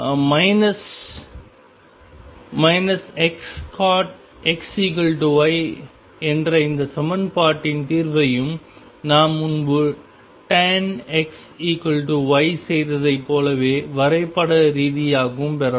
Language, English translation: Tamil, Solution of this equation that is minus x cotangent x equals y can also be obtained graphically as we did earlier for tangent x equals y